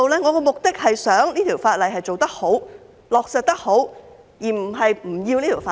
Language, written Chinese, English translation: Cantonese, 我的目的是想這項法例做得好、落實得好，而並非不要這項法例。, My aim is to see that the legislation is carried out and implemented properly but not to forego the legislation